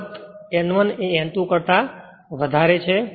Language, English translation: Gujarati, Of course, N 1 greater than N 2